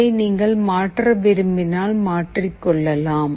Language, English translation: Tamil, If you want to change that you can do it